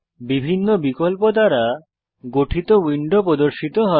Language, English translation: Bengali, The window comprising different options appears